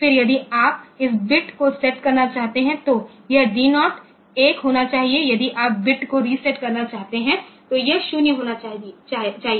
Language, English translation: Hindi, Then, if you set if you want to set this bit, then this D 0 should be 1, if you want to reset the bit it should be 0